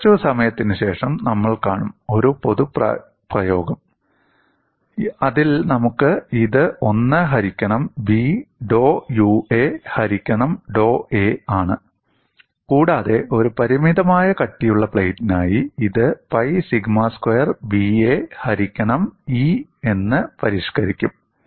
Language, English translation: Malayalam, We would see a little while later, a generic expression; in that we would have this as 1 by b dou U a divided by dou a, and for a finite thickness plate, this will be modified to pi sigma squared b a divided by E